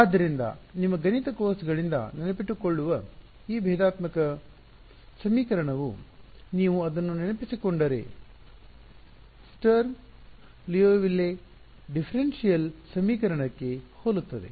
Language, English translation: Kannada, So, first of all those of you who remember from your math courses, this differential equation looks very similar to the Sturm Liouville differential equation if you remember it